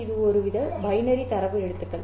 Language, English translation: Tamil, These are the binary letters